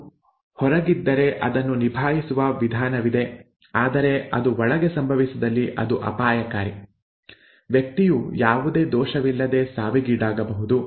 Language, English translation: Kannada, If it is outside, there is a way of handling it but if it happens inside then it can be dangerous, the person can bleed to death for no fault